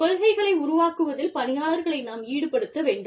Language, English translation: Tamil, Employees need to agree, to the formulation of policies